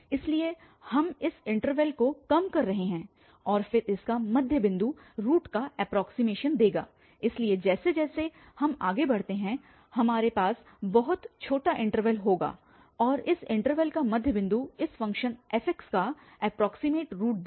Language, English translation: Hindi, So, we are narrowing down this interval and then the middle point of it will give the approximation of the root so as we proceed further, we will have a very very small interval and then again midpoint of this interval will give the approximate root of this function fx